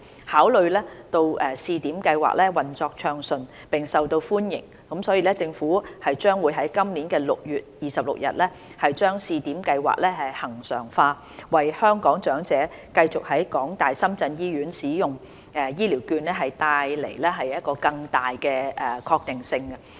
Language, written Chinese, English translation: Cantonese, 考慮到試點計劃運作暢順並受到歡迎，所以政府將於今年6月26日把試點計劃恆常化，為香港長者繼續在港大深圳醫院使用醫療券帶來更大確定性。, Considering the smooth operation and popularity of the Pilot Scheme the Government will regularize it on 26 June 2019 so as to provide greater certainty for Hong Kong elders to continue using the vouchers at HKU - SZH